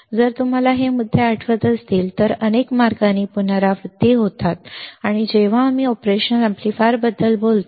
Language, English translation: Marathi, If you remember these points it has these are repeated in several paths when we talk about the operational amplifier ok